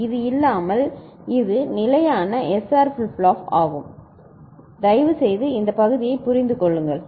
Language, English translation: Tamil, So, without this it is the standard SR flip flop please understand this part